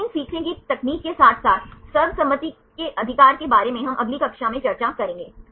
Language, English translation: Hindi, Right like machine learning techniques as well as the consensus right this we will discuss in the next class